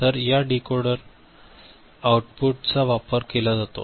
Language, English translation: Marathi, So, this decoder output will be accessed ok